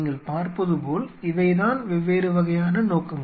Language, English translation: Tamil, You see, these are the different kind of purpose we are telling